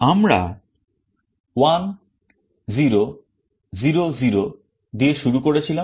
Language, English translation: Bengali, We started with 1 0 0 0